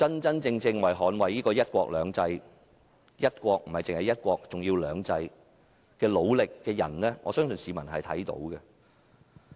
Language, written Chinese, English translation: Cantonese, 真正為捍衞"一國兩制"而努力的人，我相信市民看得出來。, I think people should be able to tell who is genuinely fighting to safeguard one country two systems